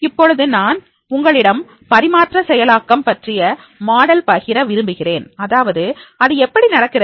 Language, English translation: Tamil, Now here I would like to share with you a model of the transfer process that how it is to be done